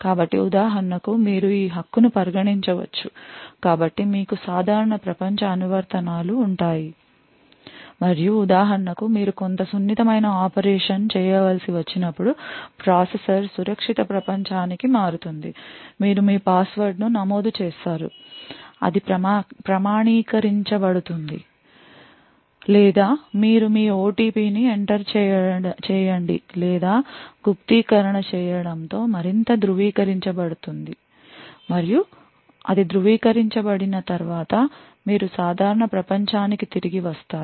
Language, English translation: Telugu, So for example you could consider this right so you would have normal world applications and whenever for example you require to do some sensitive operation the processor shifts to the secure world you enter your password which gets authenticated or you enter your OTP or do an encryption which further gets verified and then once it is verified you switch back to the normal world